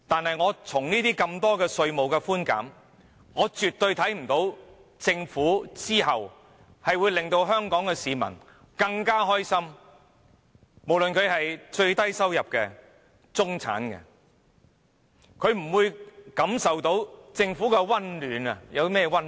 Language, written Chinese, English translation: Cantonese, 可是，觀乎這些稅務寬減措施，我絕對不認為政府會令香港市民更快樂，無論是最低收入或中產的市民，也不會從政府感受到任何溫暖。, Yet judging from these tax concessions I absolutely do not think the Government will make Hong Kong people happier . Neither the lowest income group nor the middle class will feel any warmth from the Government